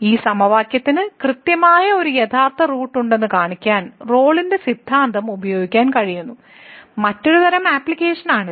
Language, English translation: Malayalam, So, this is another kind of application which where we can use the Rolle’s Theorem to show that this equation has exactly one real root